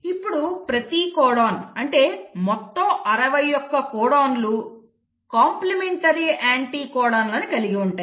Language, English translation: Telugu, So every codon, likewise all 61 codons will have the complementary anticodons